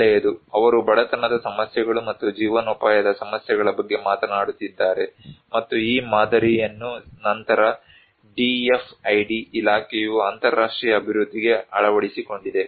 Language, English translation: Kannada, Well, they are talking about poverty issues and livelihood issues and which was this model was later on adopted by the DFID Department for international development